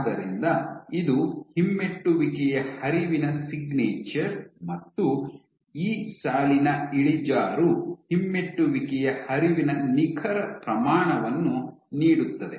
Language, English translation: Kannada, So, this is the signature of retrograde flow; this slope and the slope of this line will give you the exact magnitude of the retrograde flow